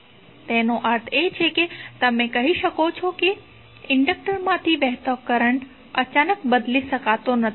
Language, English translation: Gujarati, So it means that you can say that current through an inductor cannot change abruptly